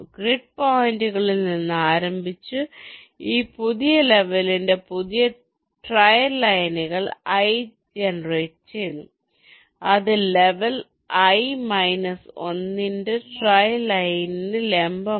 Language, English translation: Malayalam, starting from the grid points, new trail lines of this new level i are generated that are perpendicular to the trail trail line of level i minus one